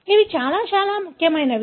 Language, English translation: Telugu, These are very, very important